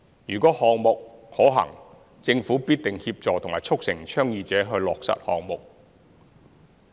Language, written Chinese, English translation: Cantonese, 如項目是可行的，政府必定協助和促成倡議者落實項目。, If a project is feasible the Government will surely support and facilitate the proponents implementation of the project